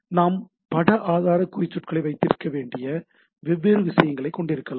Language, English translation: Tamil, And we can have different things we can have image image resource tags